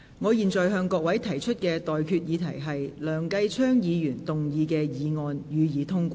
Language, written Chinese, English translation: Cantonese, 我現在向各位提出的待議議題是：梁繼昌議員動議的議案，予以通過。, I now propose the question to you and that is That the motion moved by Mr Kenneth LEUNG be passed